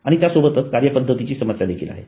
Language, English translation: Marathi, And then there is the problem with methodology